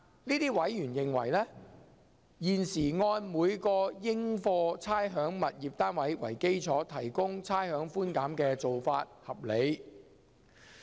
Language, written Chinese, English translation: Cantonese, 這些委員認為，現時按每個應課差餉物業單位為基礎提供差餉寬減的做法合理。, These members consider that it is reasonable to provide rates concession on the basis of each rateable tenement